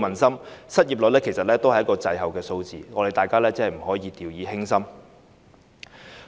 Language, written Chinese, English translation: Cantonese, 失業率是滯後的數字，大家真的不可掉以輕心。, The unemployment rate is a lagged figure so we should really not take it lightly